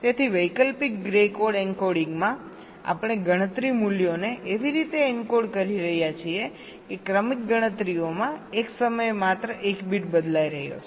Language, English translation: Gujarati, ok, so in the alternate grey code encoding we are encoding the count values in such a way that across successive counts, only one bit is changing at a time